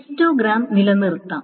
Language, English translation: Malayalam, So histograms can be maintained